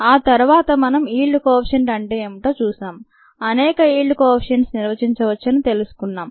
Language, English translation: Telugu, then we saw what yield coefficients where they can, many yield coefficients could be defined